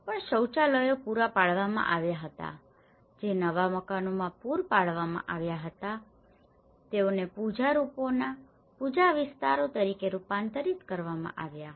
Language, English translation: Gujarati, Even, toilets were provided which were provided in the new houses they are converted as the worship areas which is puja rooms